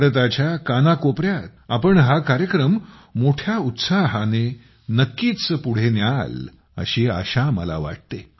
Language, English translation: Marathi, I hope you will promote this programme in every corner of India with wholehearted enthusiasm